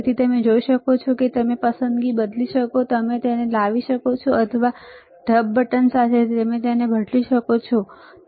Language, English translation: Gujarati, So, you can see you can change the selection, you can bring it or you with this mode button, you can change it, right